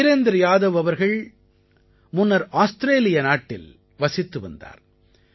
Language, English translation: Tamil, Sometime ago, Virendra Yadav ji used to live in Australia